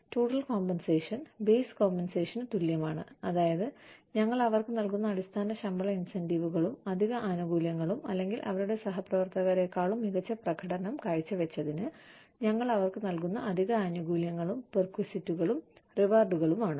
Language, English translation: Malayalam, Total compensation equals base compensation, which is the basic salary, plus the pay systems, sorry, the pay incentives, plus added benefits, we give to them, or, added rewards, we give to them, for performing better than, their peers, and benefits, the perquisites